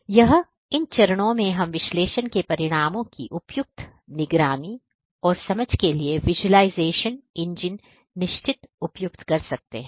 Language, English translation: Hindi, So, it is in these phases that we could also implement a certain a suitable visualization engine for appropriate monitoring and understanding of the results of annulled analytics